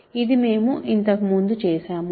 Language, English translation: Telugu, So, this we did earlier